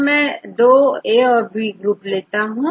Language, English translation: Hindi, So, if I here, I take 2 groups group A and group B